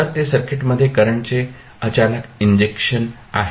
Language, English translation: Marathi, So, that is the sudden injection of current into the circuit